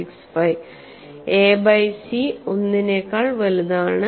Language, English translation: Malayalam, 65 for a by c greater than equal to 1